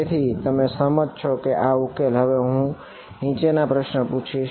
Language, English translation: Gujarati, So, you agree that this is a solution now let me ask you the following question